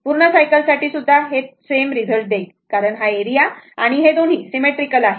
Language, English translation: Marathi, Even in full cycle also, it will give the same result because this area and this it is a symmetrical